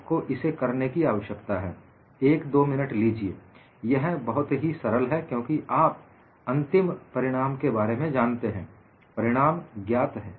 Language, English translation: Hindi, You need to work it out; take a minute or two; it is fairly simple because the final result; the result is known